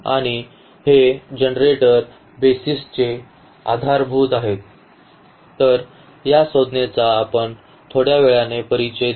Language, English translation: Marathi, And, these generators are the BASIS are the BASIS of; so, this term we will introduce little later